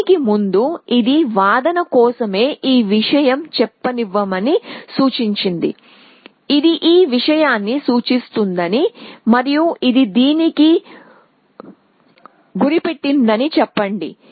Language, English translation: Telugu, So, before that, this was pointing to let us say this one for argument sake, let us say this was pointing to this and this was pointing to this